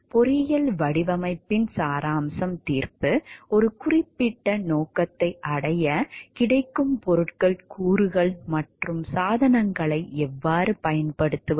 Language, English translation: Tamil, The essence of engineering design is the judgment: how to use the available materials components and devices to reach a specific objective